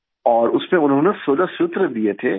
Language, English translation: Hindi, And in that he gave 16 sutras